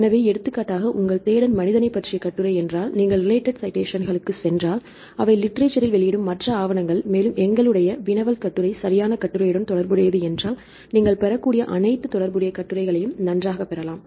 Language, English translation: Tamil, So, for example, this is your search right the man article, if you go to related citations these are the other papers which publish in the literature which related to the article which our query article right you get all the related articles you can get that fine